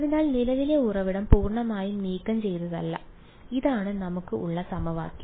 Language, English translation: Malayalam, So, it is not that have completely removed the current source, so, this is the equation that we have